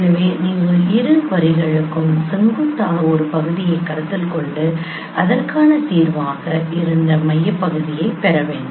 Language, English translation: Tamil, So, you should consider a perpendicular segment for both the lines and then get the midpoint